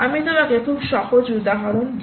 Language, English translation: Bengali, i give you a very simple example